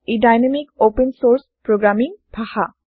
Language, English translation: Assamese, It is dynamic, open source programming language